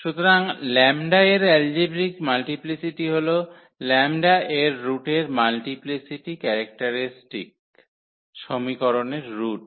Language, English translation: Bengali, So, algebraic multiplicity of lambda as a root of the its a multiplicity of lambda as a root of the characteristic equation